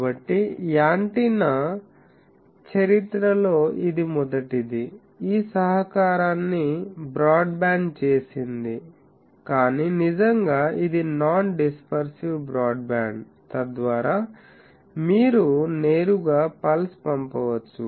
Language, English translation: Telugu, So, that actually was the first in the history of antenna that made this contribution that broadband, but really non dispersive broadband, so that you can send a pulse directly through that